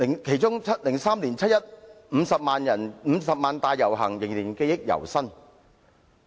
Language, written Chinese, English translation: Cantonese, 其中2003年50萬人的七一遊行，我仍記憶猶新。, I still vividly recollect the 500 000 - strong 1 July march in 2003